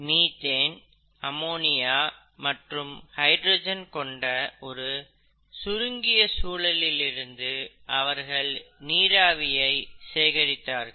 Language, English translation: Tamil, They collected the water vapour under a very reduced environment consisting of methane, ammonia and hydrogen